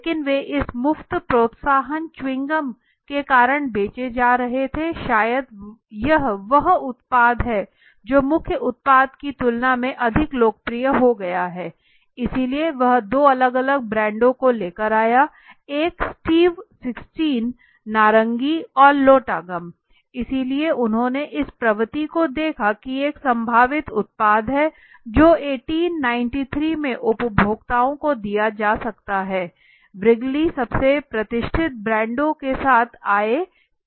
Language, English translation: Hindi, But rather they were getting sold because of this free incentive that is this gums so he thought maybe this is product which is become more popular than the main product right, so what into he came out with two different brands one is the sweet 16 orange and the Lotta gum right so he observed it trend an observing the trend is thought there is a potential product you know in the which could be given to the consumers in 1893 Wrigley’s came up with the to most iconic brands